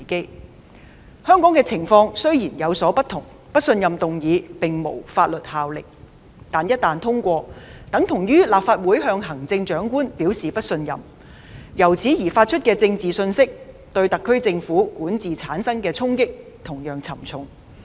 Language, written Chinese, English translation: Cantonese, 雖然香港的情況有所不同，不信任議案並無法律效力，但一旦通過，等於立法會向行政長官表示不信任，由此發出的政治信息對特區政府管治產生的衝擊同樣沉重。, The situation in Hong Kong is different where a motion of no confidence carries no legislative effect . But its passage is tantamount to an indication of distrust of the Chief Executive by the Legislative Council . The resulting political message will likewise pose serious challenges to the governance of the SAR Government